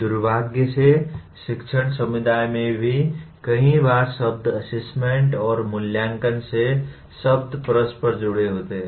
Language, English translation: Hindi, Unfortunately, even in the teaching community, the word assessment and evaluations many times are these words are interchanged